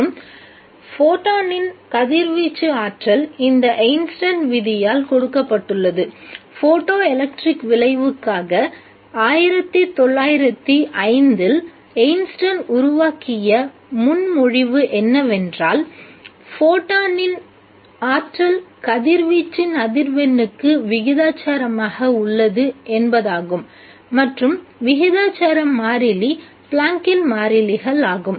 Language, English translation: Tamil, What is important is that it consists of photons and the radiation, the energy of the photon is given by this Einstein law, a proposition that Einstein made in 1905 for photoelectric effect that the energy of the photon is proportional to the frequency of the radiation and the proportionality constant is Planx constant